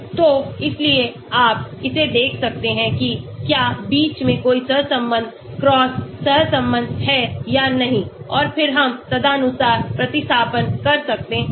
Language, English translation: Hindi, So, so you can check it out whether there is any correlation cross correlation between and then we can make the substitutions accordingly